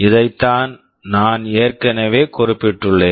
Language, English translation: Tamil, This is what I have already mentioned